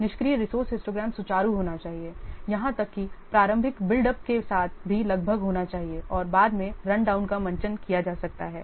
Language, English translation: Hindi, The ideal resource histogram should be smooth, should be nearly even with an initial buildup and may be stressed run down later on